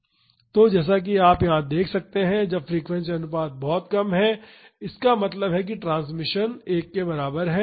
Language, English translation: Hindi, So, as you can see here when the frequency ratio is very less; that means, the transmissibility is equal to 1